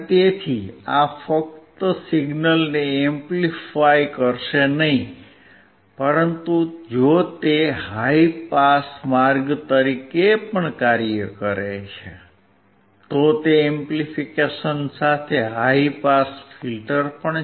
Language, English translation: Gujarati, So, this will not only amplify the signal, if it also act as a high pass way, it is a high pass filter along with amplification